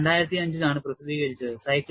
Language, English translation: Malayalam, This was published in 2005